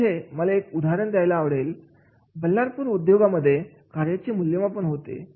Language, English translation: Marathi, Now here I would like to take an example of job evaluation from the Ballardpur industries